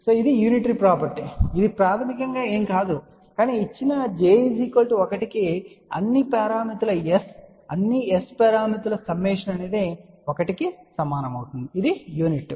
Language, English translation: Telugu, So, that is the unitary property which basically is nothing, but you can say that summation of all the S parameters for given j equal to 1 will be equal to 1 which is unit